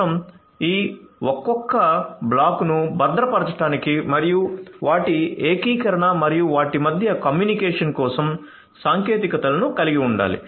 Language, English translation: Telugu, So, you need to have techniques for securing each of these individual blocks plus their integration and the communication between them